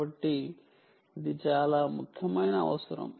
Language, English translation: Telugu, so that is a very important